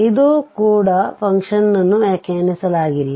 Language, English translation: Kannada, So, that is also the function is not defined